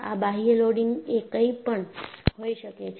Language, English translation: Gujarati, The external loading may be anything